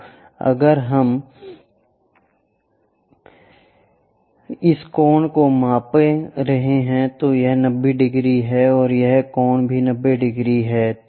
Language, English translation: Hindi, So, if we are measuring this angle this is 90 degrees and this angle is also 90 degrees